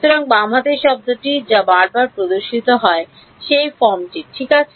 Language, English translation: Bengali, So, left hand side term which appears again and again is of this form right